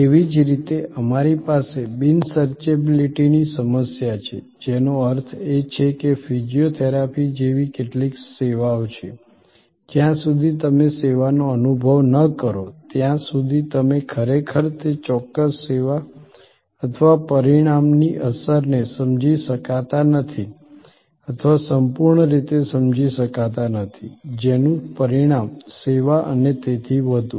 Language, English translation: Gujarati, Similarly, we have the problem of non searchability, which means that there are some services say like physiotherapy, where till you experience the service, you really cannot comprehend or cannot fully realize the impact of that particular service or the result, the outcome of that service and so on